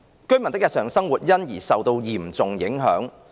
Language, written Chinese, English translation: Cantonese, 居民的日常生活因而受到嚴重影響。, As a result the daily lives of the residents have been gravely affected